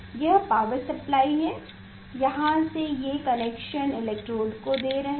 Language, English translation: Hindi, this is the power supply from here we are taking this connection this giving to the electrode